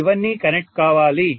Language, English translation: Telugu, This is all to be connected